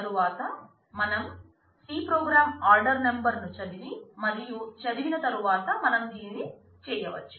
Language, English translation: Telugu, And then subsequently you have simple C program which reads the order number, and after having read that you are doing this